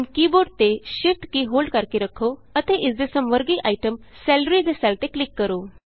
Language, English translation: Punjabi, Now hold down the Shift key on the keyboard and click on the cell with its corresponding item, Salary